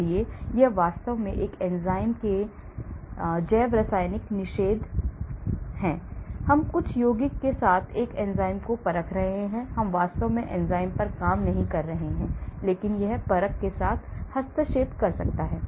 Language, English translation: Hindi, so it is not actually doing a biochemical inhibition of an enzyme suppose, we are doing an enzyme assay with some compound, it is not actually working on the enzyme but it may be interfering with the assay